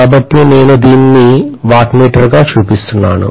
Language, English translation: Telugu, So I am showing this as the wattmeter